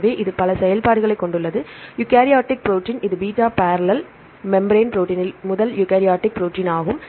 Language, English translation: Tamil, So, it has several functions right, eukaryotic protein, it is a first eukaryotic protein right in beta barrel membrane protein